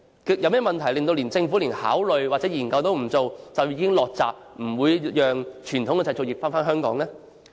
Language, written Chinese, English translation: Cantonese, 有甚麼問題令政府連考慮和研究都不願意做，就已經"落閘"，不讓傳統製造業回流香港呢？, What are the problems that make the Government not even willing to consider or conduct studies but immediate shut the gate and refuse to let the traditional manufacturing industries relocate back to Hong Kong?